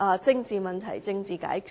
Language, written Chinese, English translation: Cantonese, 政治問題，政治解決。, Political issues should be resolved by political means